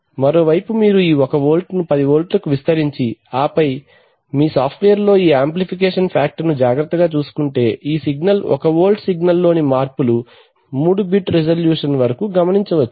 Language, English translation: Telugu, On the other hand if you had amplified it this 1 volt to 10 volt and then taken care of this amplification factor in your software then this signal, this one volt signal variation would have been captured up to 3 bit resolution